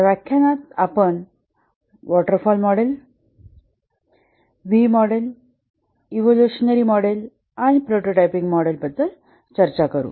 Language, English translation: Marathi, In this lecture, we will discuss about the waterfall model, V model, evolutionary model and the prototyping model